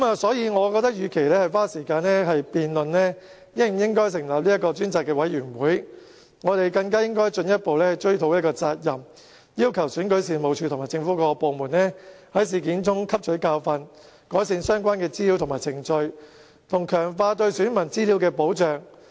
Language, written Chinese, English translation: Cantonese, 所以，我覺得與其花時間辯論是否要成立專責委員會，我們更加應該追討責任，要求選舉事務處及政府各部門在事件中汲取教訓，改善處理資料的相關程序，以及強化對選民資料的保障。, For that reason I consider that instead of wasting time on debating whether or not a select committee should be formed we should find out which person should be held liable and we should request REO and all government departments to learn from the incident to improve the relevant procedure of handling information and to enhance the protection of the personal data of electors